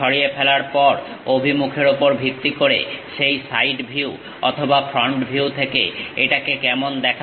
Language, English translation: Bengali, After removing how it looks like in that side view or front view, based on the direction